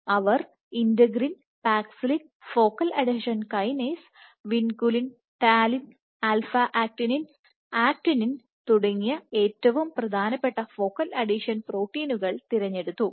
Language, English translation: Malayalam, She took some of the most important focal adhesion proteins in terms of integrin, paxillin, focal adhesion kinase, vinculin talin as well as alpha actinin and actin